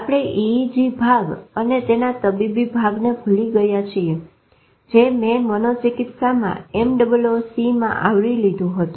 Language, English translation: Gujarati, Forget the EG part and the clinical part of it which I have covered in one of the MOOC psychiatry and overview